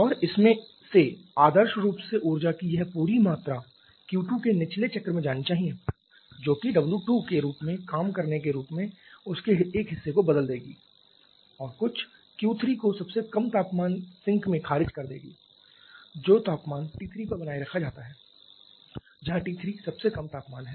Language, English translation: Hindi, And out of this ideally this entire amount of energy Q 2 should go to the bottoming cycle which will convert a part of that as working from the form of w 2 and reject some Q 3 to the Q 3 to the lowest temperature sink which is maintained temperature T 3 where T 3 is the lowest temperature